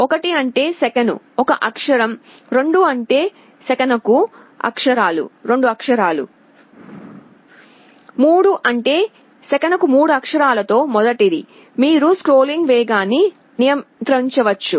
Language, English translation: Telugu, 1 means 1 character per second, 2 means 2 characters per second, 3 means first of 3 characters per second, you can control the speed of scrolling